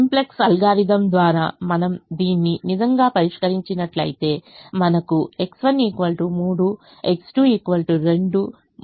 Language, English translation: Telugu, if we had actually solved this by the simplex algorithm, we would have got x one equal to three, x two equal to two and u three equal to four